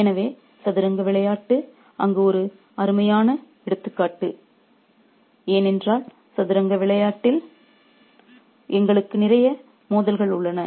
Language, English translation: Tamil, So, the game of chess is a fantastic example there because we have a lot of conflicts in a game of chess